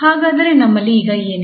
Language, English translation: Kannada, So, what do we have now